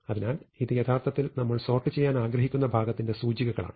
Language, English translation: Malayalam, So, this is actually one more then the index of the position that we want to sort out